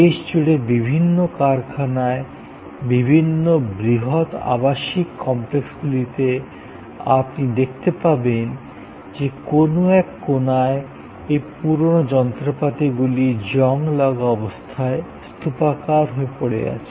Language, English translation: Bengali, And at various plants across the country, at various residential, large residential complexes, you will find that at one corner there is this huge heap of old machines rusting away, not coming to any productive use